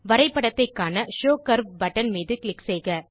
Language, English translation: Tamil, Click on Show curve button to view the Chart